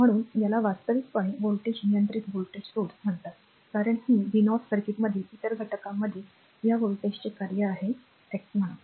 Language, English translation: Marathi, So, this is actually called voltage controlled voltage source, because this v 0 is function of this voltage across some other element in the circuit say x